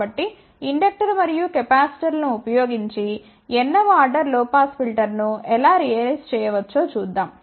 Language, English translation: Telugu, So, let us see how we can realize a n th order low pass filter using inductors and capacitors